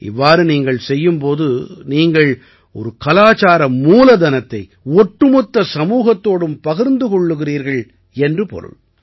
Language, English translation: Tamil, When you do this, in a way, you share a cultural treasure with the entire society